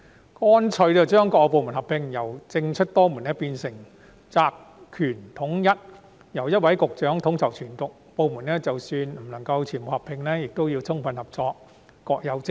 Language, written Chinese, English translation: Cantonese, 我建議乾脆將各部門合併，由政出多門變成責權統一，由一位局長統籌全局，即使不能夠把所有部門合併，各個部門也要充分合作，各有職責。, I suggest that all departments should simply merge together to consolidate the fragmented responsibilities under the coordination of one director of bureau . Even if we cannot merge all the departments they should fully cooperate and perform their own duties